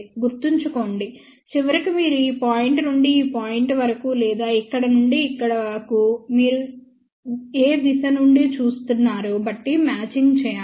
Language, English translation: Telugu, See remember ultimately we have to do the matching from this point to this point or from here to here depending upon from which direction you are looking at it